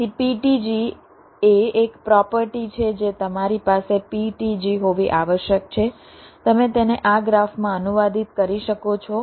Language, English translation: Gujarati, so ptg is a property where you which you must have an from ptg you can translate it into this graph